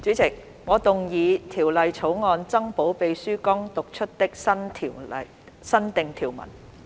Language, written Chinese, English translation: Cantonese, 主席，我動議《條例草案》增補秘書剛讀出的新訂條文。, Chairman I move that the new clauses just read out by the Clerk be added to the Bill